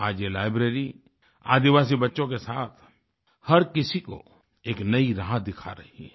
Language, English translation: Hindi, Today this library is a beacon guiding tribal children on a new path